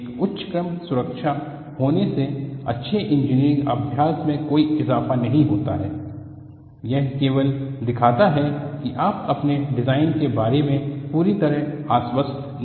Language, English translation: Hindi, So, having a higher order safety does not add togood engineering practice; it only shows you are not completely confident about your own design